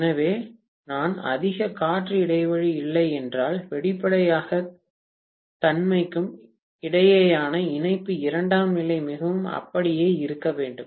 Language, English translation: Tamil, So, if I do not have much of air gap, obviously the coupling between the primary and the secondary has to be pretty much intact